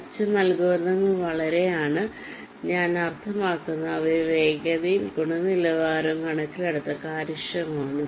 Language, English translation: Malayalam, the advantage is that the algorithms are very i mean say, efficient in terms of their speed and quality